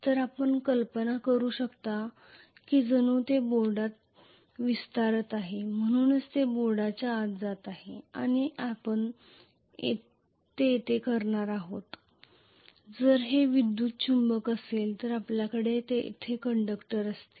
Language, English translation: Marathi, So you can imagine as though it is extending into the board, so it is essentially going inside the board and we are going to have, essentially if it is an electromagnet we will have conductors here